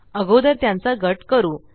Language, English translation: Marathi, First lets group them